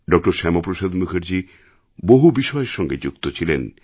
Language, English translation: Bengali, Shyama Prasad Mukherjee contributed significantly